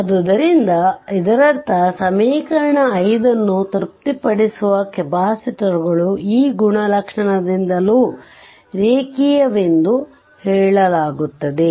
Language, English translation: Kannada, So, that means capacitors that is satisfies equation 5 are said to be linear the from this characteristic also